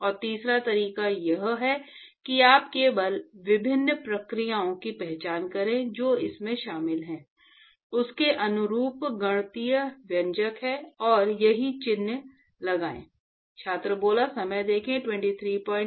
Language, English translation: Hindi, And the third way is you simply identify different processes which are involved, what is the mathematical expression corresponding to that and put the correct sign